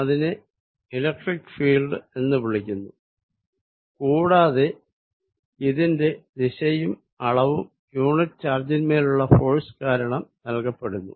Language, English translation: Malayalam, So, this exist something around it that I am calling the electric field and it is direction and magnitude is given by force is applied on a unit charge